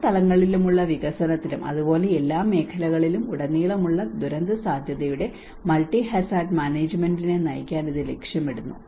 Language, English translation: Malayalam, It aims to guide the multi hazard management of disaster risk in development at all levels as well as within and across all sectors